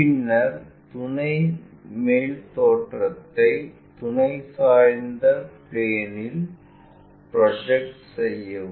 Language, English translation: Tamil, Then project auxiliary top view onto auxiliary inclined plane